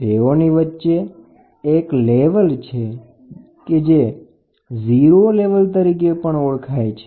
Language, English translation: Gujarati, In between there is a there is one point called as 0 level